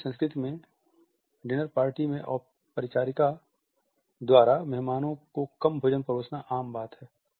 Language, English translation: Hindi, In Chinese culture its common for the hostess at the dinner party to serve to guests less food